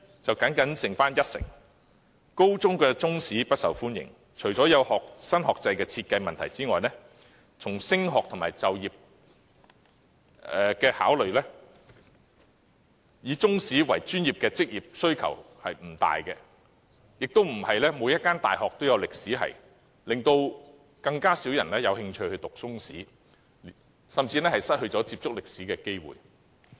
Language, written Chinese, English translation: Cantonese, 中史科不受高中學生歡迎，除了有新學制問題外，從升學和就業角度考慮，以中史作為專業的職業需求不大，亦不是每間大學都有歷史系，所以，更少學生有興趣修讀中史，他們甚至失去接觸歷史的機會。, Apart from the problem concerning the new curriculum from the perspectives of further studies and employment there are few jobs demanding the professional knowledge of Chinese history and not every university has a history faculty hence fewer students are interested in studying Chinese history and they even do not have the opportunity to get to learn about history